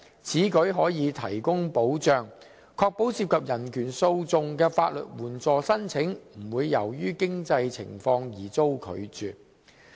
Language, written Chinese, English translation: Cantonese, 此舉可提供保障，確保涉及人權訴訟的法律援助申請不會由於經濟情況而遭拒絕。, This serves as a safeguard to ensure that legal aid applications for proceedings involving human rights issues will not be refused on means